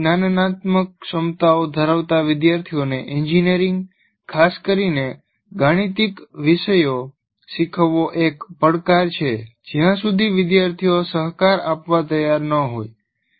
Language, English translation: Gujarati, Now teaching, engineering, especially mathematical subjects to students with poor cognitive abilities is a challenge unless the students are willing to cooperate with you